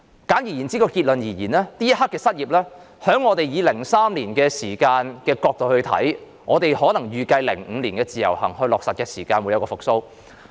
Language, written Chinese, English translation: Cantonese, 簡而言之，結論就是，就這刻的失業情況而言，如果從2003年時的角度看，我們或會預計在2005年落實自由行時，經濟會復蘇。, In gist we can conclude that if the unemployment at this point in time is looked at from the perspective of 2003 we may expect the economy to recover as it did in 2005 when the Individual Visit Scheme was introduced